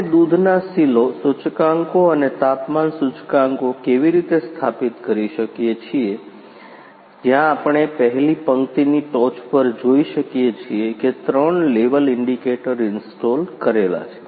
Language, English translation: Gujarati, How we install the milk silo indicators and temperature indicators, where we can see the in top of the first row three level indicator indicators are installed